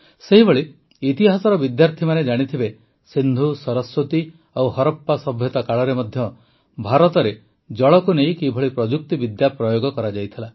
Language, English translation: Odia, Similarly, students of history would know, how much engineering was developed in India regarding water even during the IndusSaraswati and Harappan civilizations